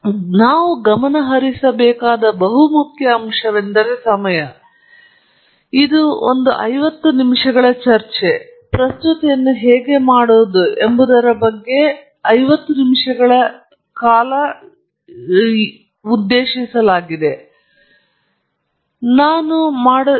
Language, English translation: Kannada, So, one of the aspects that we need to focus on is time; this is a fifty minute talk intended as a fifty minute single talk on how to make a presentation, and we will see how well we pace ourselves through this talk okay